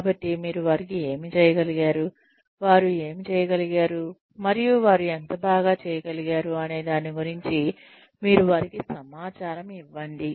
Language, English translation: Telugu, So, you give them information about, what they have been able to do, and how well they have been able to do it